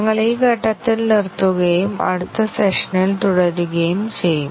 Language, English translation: Malayalam, We will stop at this point, and continue in the next session